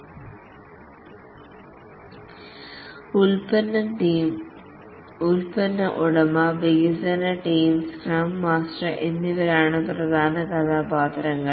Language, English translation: Malayalam, The key roles are the product owner development team and the scrum master